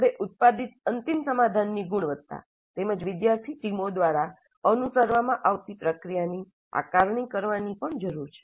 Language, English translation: Gujarati, We also need to assess the final solution, the quality of the final solution produced, as well as the process followed by the student teams